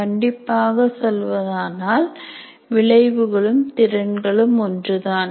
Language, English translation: Tamil, Strictly speaking outcome and competency mean the same